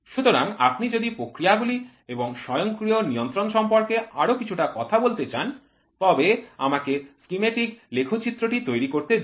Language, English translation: Bengali, So, if you want to talk little bit more about control of processes and automation let me make a schematic diagram